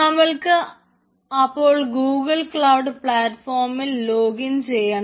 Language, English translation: Malayalam, so you want to host it on google cloud platform